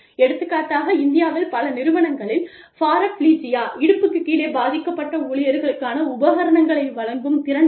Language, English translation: Tamil, For example, in India, not too many organizations, have the ability to provide, equipment for paraplegic employees, for example